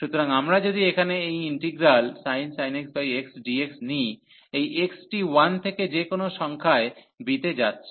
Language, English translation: Bengali, So, if we take this integral here sin x over x dx, this x is going from 1 to any number this b